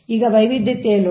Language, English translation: Kannada, right now, load diversity